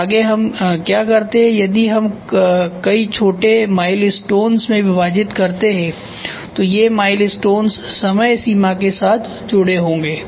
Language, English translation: Hindi, Next what we do if we divided into several small milestones; several small milestones